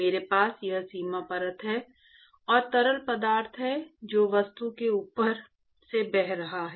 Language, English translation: Hindi, I have a boundary layer, and I have fluid which is flowing past the object